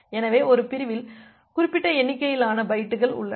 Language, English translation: Tamil, So, a segment contains certain number of bytes